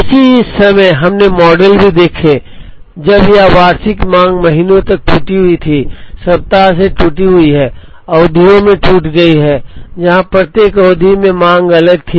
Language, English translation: Hindi, At the same time, we also saw models when this annual demand is broken to months, broken to weeks, broken to periods, where the demand was be different in each period